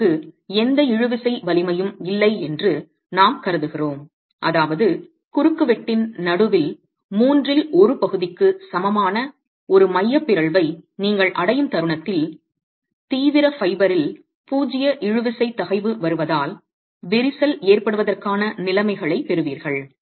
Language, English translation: Tamil, We assume that the material has no tensile strength, which means the moment you reach eccentricity, the moment you reach an eccentricity equal to the middle third of the cross section, you get the conditions for cracking because zero tensile stress has been arrived at the extreme fibre